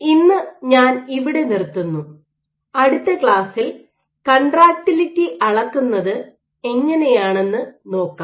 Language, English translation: Malayalam, So, I stop here for today in the next class we will see how do we go about measuring contractility